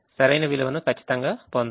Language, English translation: Telugu, we should get the correct value